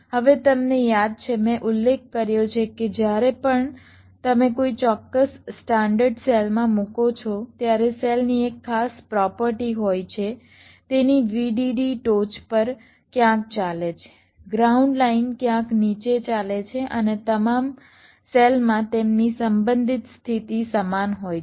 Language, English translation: Gujarati, you recall i mentioned that whenever you place a particular standard cell, the cell has a particular property: that its vdd runs somewhere in the top, ground line runs somewhere in the bottom and their relative positions across all the cells are the same